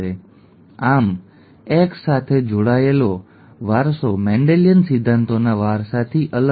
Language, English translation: Gujarati, Thus X linked inheritance is different from inheritance by Mendelian principles